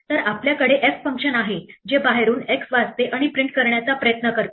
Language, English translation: Marathi, So, we have function f which reads an x from outside and tries to print it